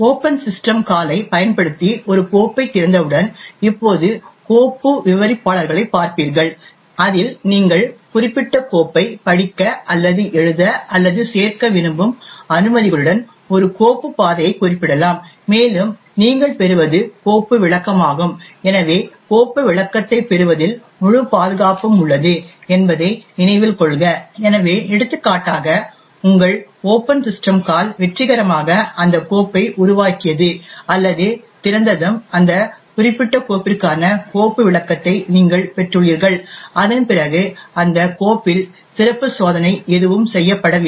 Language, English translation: Tamil, Will now look at file descriptors, once you open a file using the open system call in which is specify a file path along with permissions that you want to read or write or append to that particular file and what you obtain is a file descriptor, so note that the entire security rest in just obtaining the file descriptor, so for example once your open system call has successfully created or open that file and you have obtained the file descriptor for that particular file after that there are no special test that are done on that file